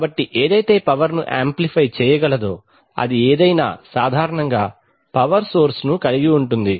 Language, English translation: Telugu, It amplifies power, so anything which amplifies power usually has a power source